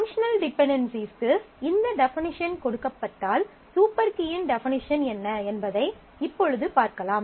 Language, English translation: Tamil, So, given this definition of functional dependency, now we can have a formal definition of what the super key is